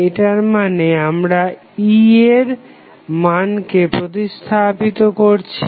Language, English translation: Bengali, It means that we are replacing the value of E